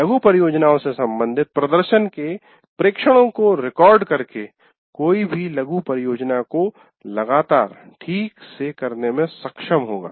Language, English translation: Hindi, And by recording the observations on the performance with respect to mini projects, one will be able to continuously fine tune the mini project